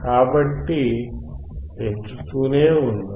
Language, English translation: Telugu, So, let us keep on increasing